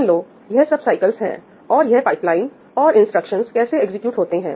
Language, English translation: Hindi, Let us say that these are the cycles and this is how the pipeline, how the instructions are getting executed